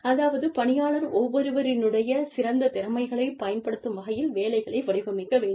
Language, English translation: Tamil, So, the job should be designed, to use the best talents, of each employee